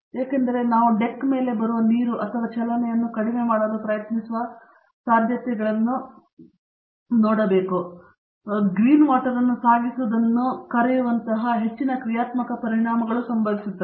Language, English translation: Kannada, Because, you have a lot of dynamic effects occurring such as what we called shipping green water reducing the possibility of water coming on both the deck or trying to minimize the motions